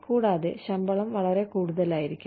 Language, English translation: Malayalam, And, the salaries may be too much